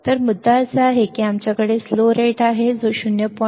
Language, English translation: Marathi, So, the point is that we have slew rate which is 0